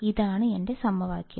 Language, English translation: Malayalam, This is my equation